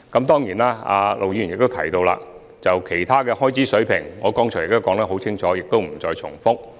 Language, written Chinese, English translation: Cantonese, 對於陸議員提及的其他開支水平，我剛才已清楚說明，在此不再重複。, As for the other expenditure levels as mentioned by Mr LUK I have already given a clear explanation so I will not repeat my point here